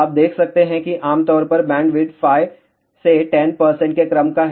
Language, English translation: Hindi, You can see that typically bandwidth is of the order of 5 to 10 percent